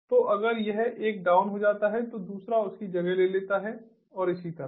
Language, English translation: Hindi, so if this one goes down, there is the other one which can take over, and so on